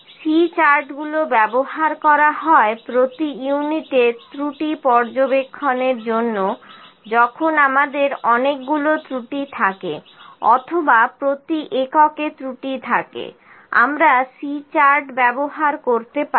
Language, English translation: Bengali, C charts used to monitor the defects per unit when we have the number of defects, or defects per unit, we can use the C chart